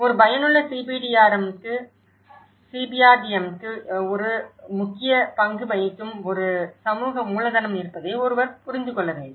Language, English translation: Tamil, For an effective CBRDM, one need to understand there is a social capital which plays an important role